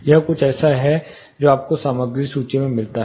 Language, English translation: Hindi, This is something which you find in the materials catalog